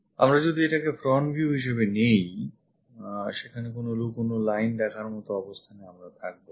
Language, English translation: Bengali, If we are picking this one as the front view; there are no hidden lines we will be in a position to see